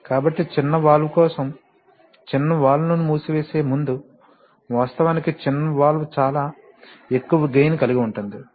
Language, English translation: Telugu, So you see that for the small valve, when you are just before closing the small valves the actually small valve actually has a very high gain